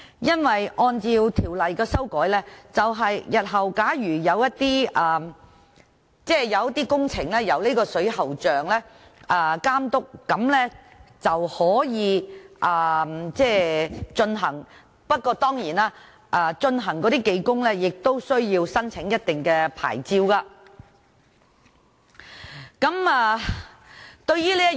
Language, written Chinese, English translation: Cantonese, 因為有關修訂是，日後的工程由水喉匠監督便可以進行，不過負責的技工當然亦需要申領特定牌照。, It is because according to the amendments in future the works will be carried out under the supervision of a licensed plumber while the technicians who carry out the works also need to have obtained a certain licence